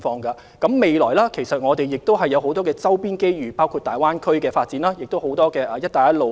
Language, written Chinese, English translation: Cantonese, 展望未來，其實我們亦有很多周邊的機遇，包括大灣區發展及"一帶一路"倡議帶來的機遇。, Looking ahead there are many opportunities provided by our neighbouring countries including opportunities arising from the Greater Bay Area development and the Belt and Road Initiative